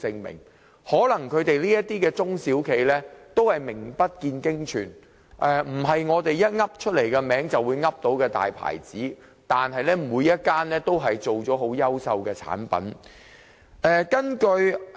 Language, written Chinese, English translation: Cantonese, 或許這些中小企名不見經傳，不是我們能夠隨口說出的大品牌，但每間企業都能製造出優秀產品。, While these SMEs may not be well - known unlike the big brand names which we can tell offhand they all produce excellent products